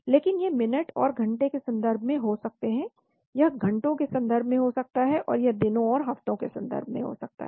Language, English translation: Hindi, Whereas these could be in terms of minutes and hours, it could be in terms of hours, and this could be in terms of days and weeks